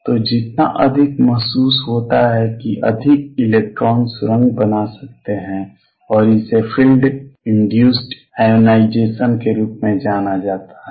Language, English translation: Hindi, So, stronger the feel more electrons can tunnel through and this is known as field induced ionization